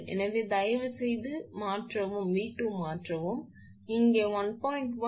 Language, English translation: Tamil, So, please substitute V 2 is equal to 1